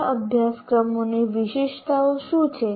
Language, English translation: Gujarati, What are the features of good courses